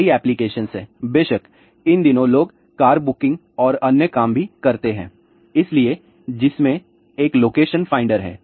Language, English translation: Hindi, There are several applications are there of course, these days people do car booking and other thing also so, which has a location finder